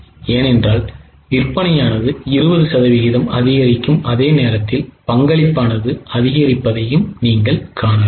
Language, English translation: Tamil, Because whenever there is an increase in sale of 20% in the same proportion you experience increase in the contribution